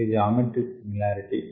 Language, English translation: Telugu, we will have geometric similarity